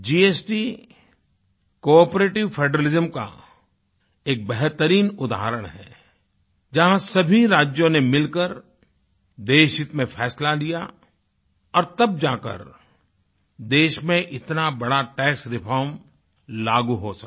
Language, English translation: Hindi, GST is a great example of Cooperative federalism, where all the states decided to take a unanimous decision in the interest of the nation, and then such a huge tax reform could be implemented in the country